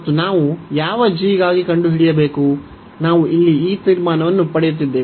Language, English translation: Kannada, And we have to find for what g, we are getting this conclusion here